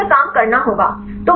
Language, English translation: Hindi, So, you have to work on that